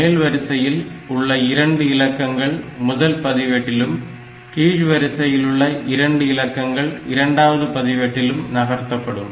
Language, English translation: Tamil, So, upper 2 digits are placed in the first register of the pair and the lower 2 digits are placed in the second register of the pair